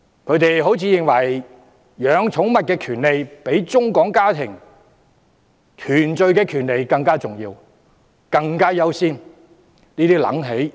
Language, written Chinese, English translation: Cantonese, 他們好像認為，飼養寵物的權利比中港家庭團聚的權利更重要，更應優先處理。, The opposition seems to believe that the right to keeping pets is more important and deserving a higher priority than the right for China - Hong Kong families to reunite